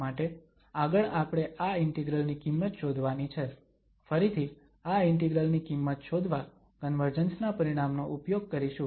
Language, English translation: Gujarati, So, we want to, further we want to find the value of this integral again the convergence result will be used to get the value of this integral